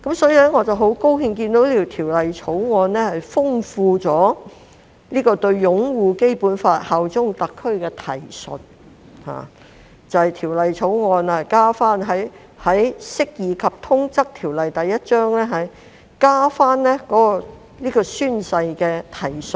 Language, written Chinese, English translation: Cantonese, 所以，我很高興看到《條例草案》豐富了條例對"擁護《基本法》、效忠特區"的提述，就是《條例草案》加入《釋義及通則條例》有關宣誓的提述。, Thus I am very glad that the Bill has enriched the reference to upholding the Basic Law and bearing allegiance to HKSAR by adding a reference to oath - taking in the Interpretation and General Clauses Ordinance Cap